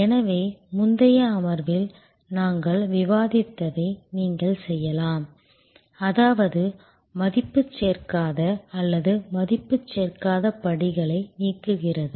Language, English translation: Tamil, And therefore, you can do this that we had discussed in an earlier session; that is removing the non value added or non value adding steps